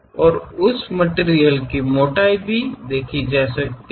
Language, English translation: Hindi, And the thickness of that material can be clearly seen